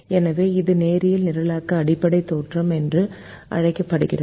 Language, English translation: Tamil, so this is called the fundamental theorem of linear program